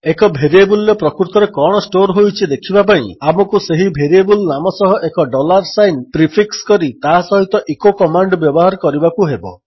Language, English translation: Odia, To see what a variable actually stores, we have to prefix a dollar sign to the name of that variable and use the echo command along with it